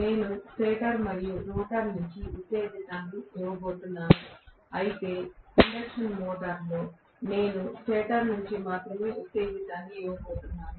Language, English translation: Telugu, I am going to give excitation, both from the stator as well as rotor whereas in an induction motor I am going to give excitation only from the stator